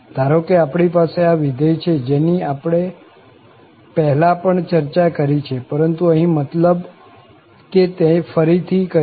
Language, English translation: Gujarati, So, suppose, we have this function which we have also discussed before, but here, I mean this will be repeated again